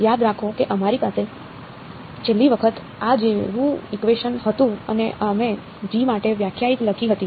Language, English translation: Gujarati, Remember we had last time an equation like this and we wrote a definition for g